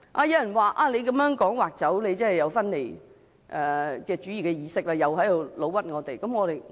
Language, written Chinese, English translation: Cantonese, 有人指我們說"劃出"，便是有分離主義的意識，又在冤枉我們。, Some people comment that in saying designation we are advocating separatism; they are falsely accusing us again